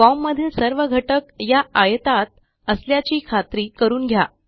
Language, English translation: Marathi, Lets make sure, all the form elements are inside this rectangle